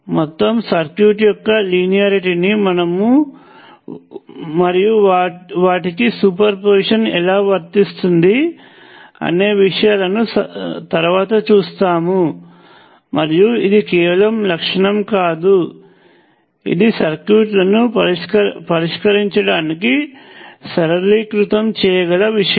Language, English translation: Telugu, So, both of these are linear elements, we will see later, see linearity of whole circuits, and how super position applies to them, and it is not just a property; it is something which can simplify the solutions of circuits